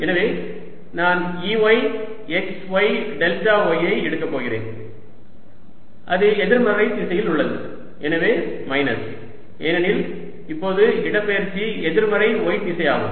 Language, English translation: Tamil, so i am going to have e, y, x, y, delta y, and that is in the negative direction, so minus, because now the displacement is the negative y direction, right